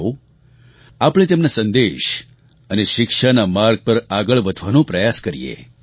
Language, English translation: Gujarati, Come, let us try & advance on the path of his ideals & teachings